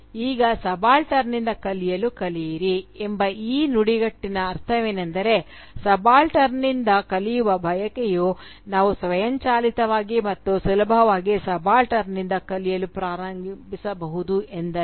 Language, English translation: Kannada, " Now, the meaning of this phrase, "learn to learn from the subaltern," is that the desire to learn from the subaltern does not mean that we can automatically and easily start learning from the subaltern